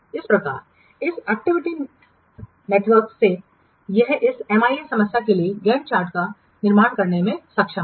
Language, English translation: Hindi, So this is how from this activity network we are able to construct the GAN chart for this MIS problem